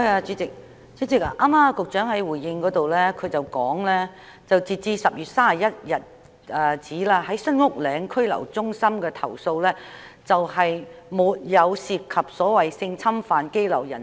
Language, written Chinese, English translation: Cantonese, 主席，局長剛才在主體答覆中指出，截止10月31日，關於新屋嶺拘留中心的投訴並沒有涉及所謂性侵犯羈留人士。, President just now the Secretary pointed out in the main reply that as at 31 October there has been no complaint relating to the so - called sexual assault of detainees in SULHC